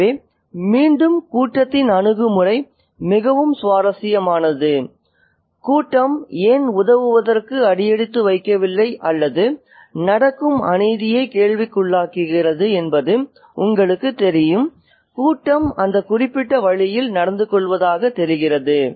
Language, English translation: Tamil, So, again, the attitude of the crowd is very, very interesting why the crowd doesn't step in to help or to, you know, a question injustice that's happening is again, is kind of hinted out